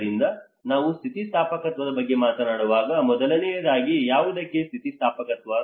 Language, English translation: Kannada, So when we talk about resilience, first of all resilience to what